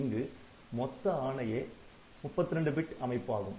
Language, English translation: Tamil, So, total words size is 32 bit